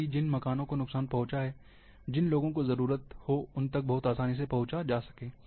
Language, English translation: Hindi, So, that the houses which got damaged, people are in need, can be reached very easily